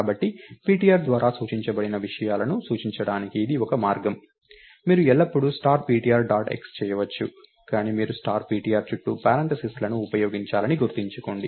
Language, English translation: Telugu, refer to the contents pointed by ptr, you can always do star ptr dot x, but be cautioned that you have to use parenthesis around star ptr